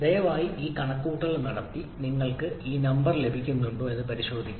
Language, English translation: Malayalam, So use the table to check whether you are getting this number or not